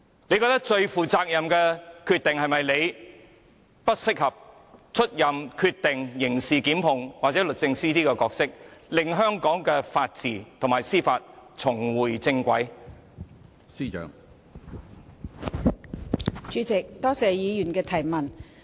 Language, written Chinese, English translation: Cantonese, 就此，她會否認為自己不執掌刑事檢控決定，甚或不出任律政司司長，讓香港的法治和司法重回正軌，才是最負責任的決定？, In this connection does she think that her most responsible decision right now will be to refrain from making prosecutorial decisions or even to resign as the Secretary for Justice so as to allow the rule of law and the legal system of Hong Kong to be back on the right track?